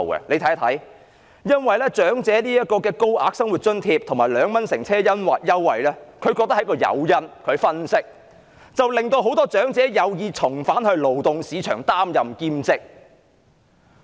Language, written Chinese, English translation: Cantonese, 據他們分析，高額長者生活津貼和2元乘車優惠是一個誘因，令很多長者有意重返勞動市場擔任兼職。, According to their analysis the Higher Old Age Living Allowance and the 2 public transport concessionary fare will serve as an incentive inducing more elderly people to become willing to return to the labour market and take up part - time jobs